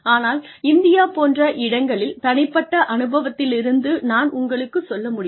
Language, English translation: Tamil, But, in places like India, I can tell you from personal experience